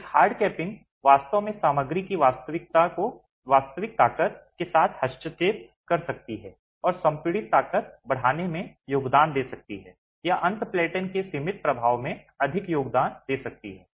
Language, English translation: Hindi, A heart capping can actually interfere with the actual strength of the material and contribute to increasing the compressive strength or contribute more to the confining effect of the end plateau